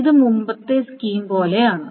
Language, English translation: Malayalam, This is just like the previous scheme